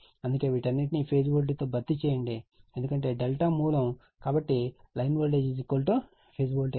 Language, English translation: Telugu, That is why all these thing is replaced by phase voltage because your source is delta right, so line voltage is equal to phase voltage